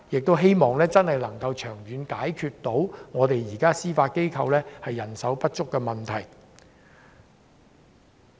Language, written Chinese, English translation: Cantonese, 我希望長遠能解決司法機構人手不足的問題。, I hope that the manpower shortage problem of the Judiciary will be resolved in the long run